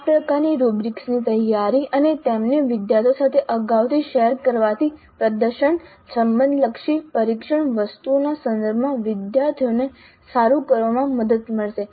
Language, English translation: Gujarati, So, this kind of a rubric preparation and sharing them upfront with the students would help the students do well in terms of the performance related test items